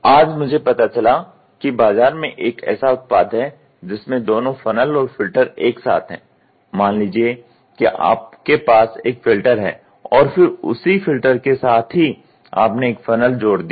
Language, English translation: Hindi, Today, I found out from the market that there is a product which has got integrated these two you have a filter whatever it is and then along with the filter itself you they have attached a funnel